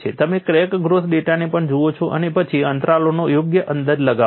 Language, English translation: Gujarati, You also look at crack growth data and then estimate the intervals appropriately